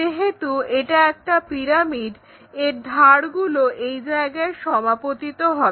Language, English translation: Bengali, It is a pyramid, so edges will coincide there